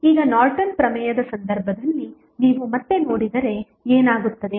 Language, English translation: Kannada, Now, if you see again in case of Norton's Theorem what will happen